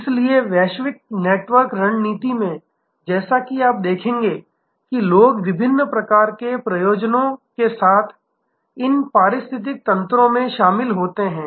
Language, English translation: Hindi, So, in the global network strategy as you will see that people join these ecosystems with different types of motives